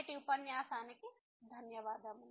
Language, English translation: Telugu, Thank you, for today’s lecture